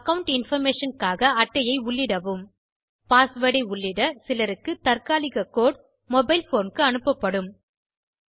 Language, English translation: Tamil, To enter card on account information To enter the pasword some need a temporary code sent to your mobile phone